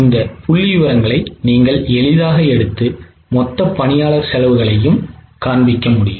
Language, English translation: Tamil, You can easily take these figures and go for showing the total employee costs getting it